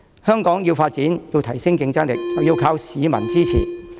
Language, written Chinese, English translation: Cantonese, 香港要發展，要提升競爭力，便要靠市民支持。, Without popular support Hong Kong cannot thrive and improve its competitiveness